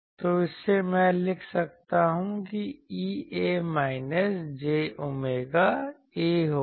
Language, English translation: Hindi, So, from this, I can write that E A will be minus j omega A